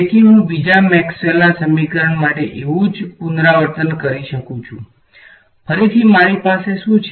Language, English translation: Gujarati, So, I can repeat the same exercise for the second Maxwell’s equation right; again there what do I have